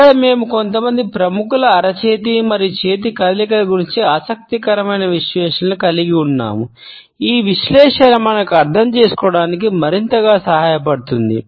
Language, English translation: Telugu, Here we have an interesting analysis of the palm and hand movements of certain celebrities which would further help us to understand this analysis